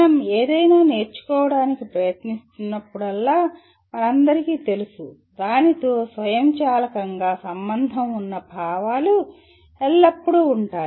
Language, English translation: Telugu, We all know whenever we are trying to learn something, there are always feelings automatically associated with that